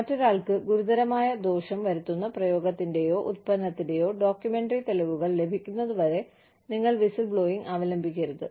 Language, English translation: Malayalam, You should not resort to whistleblowing, till you have documentary evidence, of the practice, or product, bringing serious harm to somebody